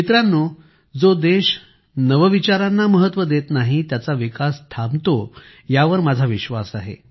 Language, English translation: Marathi, Friends, I have always believed that the development of a country which does not give importance to innovation, stops